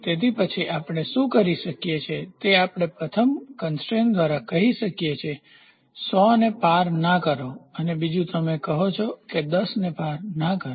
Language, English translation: Gujarati, So, then what we do is we first one by constraints, we say do not cross 100 and the second one; you say do not cross 10